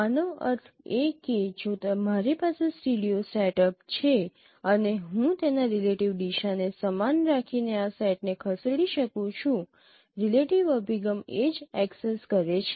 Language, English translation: Gujarati, That means if I have a stereo setup and I can move this setup by keeping its relative orientation the same, relative orientation of the image axis the same